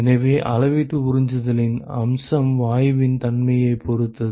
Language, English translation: Tamil, So, the aspect of volumetric absorption depends upon the nature of the gas